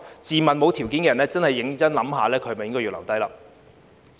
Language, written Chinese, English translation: Cantonese, 自問沒有這條件的人，的確要認真想清楚去留。, Those who do not meet the criterion should really think carefully about whether to stay or go